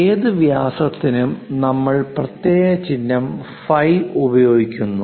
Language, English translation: Malayalam, For any diameters we use special symbol phi